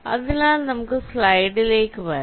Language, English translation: Malayalam, ok, so lets come back to this slide again